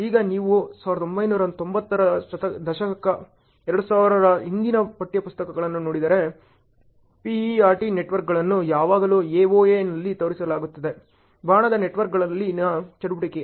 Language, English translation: Kannada, Now, if you look at textbooks earlier to 1990 s, 2000 even, you will find most predominantly PERT networks are always shown on AoA ok; activity on arrow networks